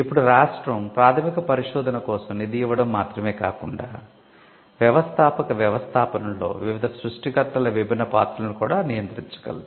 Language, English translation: Telugu, Now, the state can apart from being a funder or giving the fund for basic research, the state could also regulate the different roles of different creators in the entrepreneurial set up